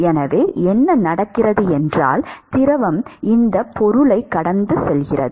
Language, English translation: Tamil, So, what happens is that the fluid which is coming pass this object